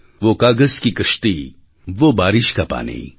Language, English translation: Gujarati, Wo kagaz ki kashti, wo baarish ka paani